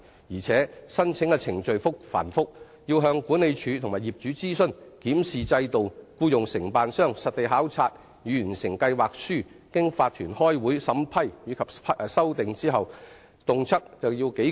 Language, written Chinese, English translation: Cantonese, 而且，申請程序繁複，要向管理處及業主諮詢、檢視制度、僱用承辦商實地考察以完成計劃書，並經法團開會審批及修訂等，動輒耗時數個月。, The application procedures are complicated requiring consultation with the management company and property owners a system review and the hiring of a contractor to conduct site investigations and write up a project proposal . And the proposal must then be subject to vetting amendment and approval by the owners corporation at its meetings . All this will easily take several months